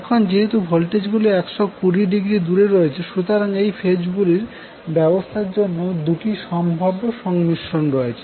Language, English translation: Bengali, So, now, since the voltages are 120 degree out of phase, there are 2 possible combinations for the arrangement of these phases